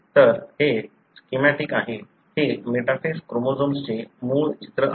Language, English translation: Marathi, So, this is the schematic, this is the original picture of a metaphase chromosome